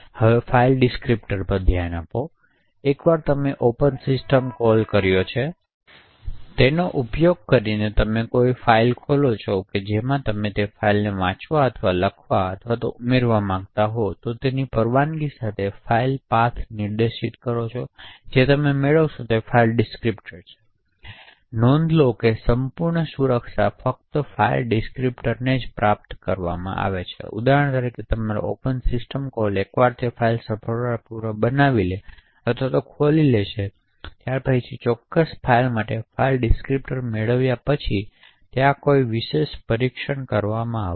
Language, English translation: Gujarati, Will now look at file descriptors, once you open a file using the open system call in which is specify a file path along with permissions that you want to read or write or append to that particular file and what you obtain is a file descriptor, so note that the entire security rest in just obtaining the file descriptor, so for example once your open system call has successfully created or open that file and you have obtained the file descriptor for that particular file after that there are no special test that are done on that file